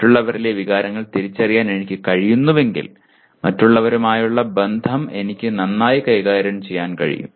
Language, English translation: Malayalam, And then if I am able to recognize emotions in others, I can handle the relations with other people much better